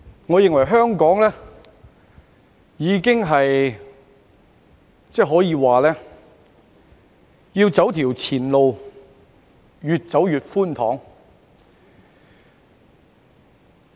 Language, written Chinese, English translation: Cantonese, 我認為，香港要走的前路可說是越走越寬敞。, This is indeed the case . In my view it can be said that the path for Hong Kong to take ahead is getting wider and wider